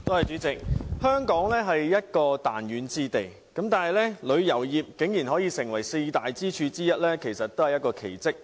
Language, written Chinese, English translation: Cantonese, 主席，香港作為彈丸之地，旅遊業卻可以成為四大經濟支柱之一，確實是一個奇蹟。, President in a tiny place like Hong Kong it is indeed a miracle for the tourism industry to become one of the four major economic pillars